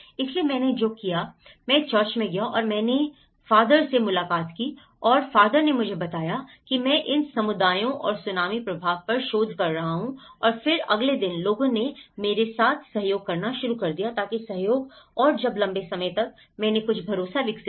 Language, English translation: Hindi, So, what I did was, I went to the church and I met the father and the father introduced me that I am doing research on these communities and tsunami effect and then the next day onwards, people started cooperating with me so that cooperation and when the longer run, I developed some trust